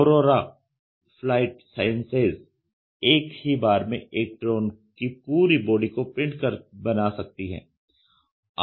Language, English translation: Hindi, So, aurora flight science can print the entire body of a drone in one build